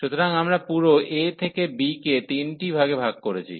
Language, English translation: Bengali, So, we have divided the whole range a to b into n intervals